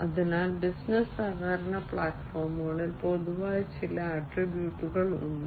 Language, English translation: Malayalam, So, there are some common attributes in business collaboration platforms